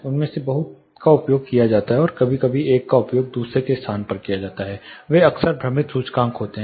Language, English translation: Hindi, Lot of them are used and sometimes place of one is used in place of the other they are often confused indices